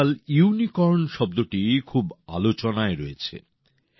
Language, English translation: Bengali, These days the word 'Unicorn' is in vogue